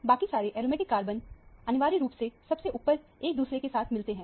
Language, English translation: Hindi, All the other aromatic carbons are essentially merged on top of each other